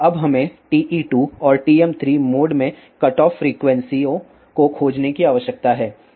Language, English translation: Hindi, Now we need to findcutoff frequencies in TE 2 and TM 3 modes